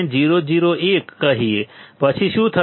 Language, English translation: Gujarati, 001; then what will happen